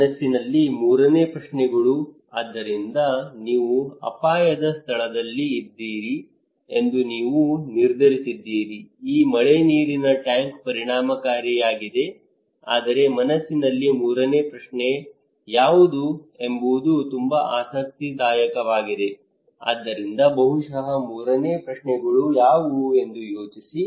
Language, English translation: Kannada, Third questions in mind so you decided that okay you are at a risky place this rainwater tank is effective, but what would be the third question in mind that is very interesting is it not it so just think for a second what is the third questions possibly people think